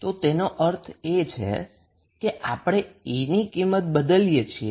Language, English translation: Gujarati, It means that we are replacing the value of E